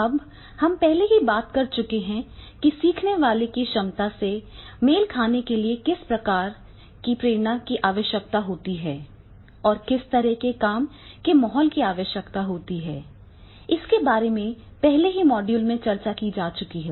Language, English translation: Hindi, Now, we have talked about that is the what sort of the motivation level learners ability is required, what type of the work environment is required in the earlier module